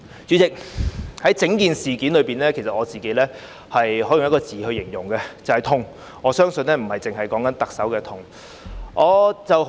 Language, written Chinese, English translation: Cantonese, 主席，對於整件事，我只能以一個字形容，就是"痛"，而我相信不只是特首的痛。, President regarding this whole issue I can only describe it as an agony and I believe it is an agony not only to the Chief Executive